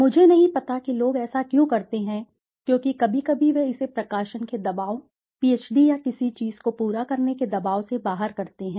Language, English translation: Hindi, I don t know why people do it because sometimes they do it out of pressure of publishing, the pressure of finishing a PhD or something